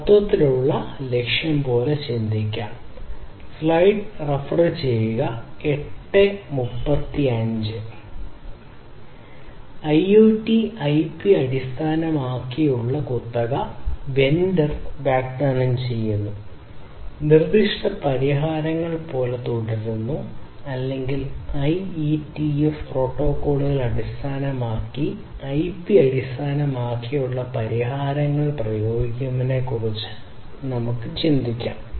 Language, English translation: Malayalam, Now, think about IoT; IoT we can think about offering non IP based proprietary remains like vendor specific solutions or we can think of using the IPbased solutions based on the IETF protocols that are already there